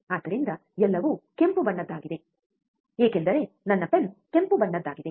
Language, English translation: Kannada, So, everything is red, because my pen is red